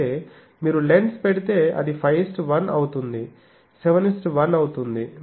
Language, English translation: Telugu, But, then if you put the lens then that becomes 5 is to 1 become 7 is to 1